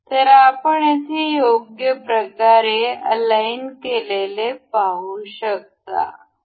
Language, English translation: Marathi, So, we can see over here aligned in the correct way